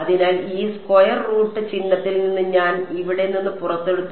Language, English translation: Malayalam, So, I pulled out a R from this square root sign over here all right